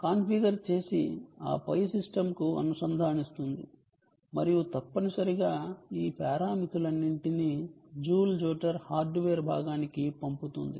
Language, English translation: Telugu, it configures and then connects to the system and ah essentially passes all these parameters onto the joule jotter, ah piece of hardware